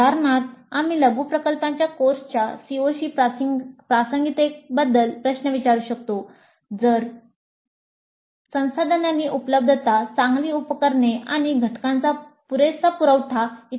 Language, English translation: Marathi, For example, we can ask questions about relevance of the mini project to the CIOs of the course, availability of resources, good equipment and adequate supply of components and so on